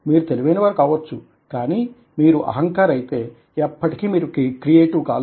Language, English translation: Telugu, you might be intelligent, but if you arrogant, then you can never be creative